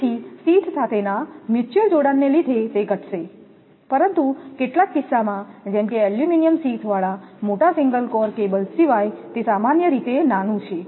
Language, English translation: Gujarati, So, it will reduce due to the mutual coupling with the sheath, but this is generally small except in some cases such as a large single core cables with the aluminum sheath